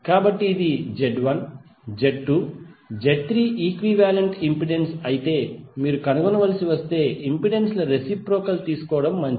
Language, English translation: Telugu, So if it is Z1, Z2, Z3 the equivalent impedance if you have to find out it is better to take the reciprocal of impedances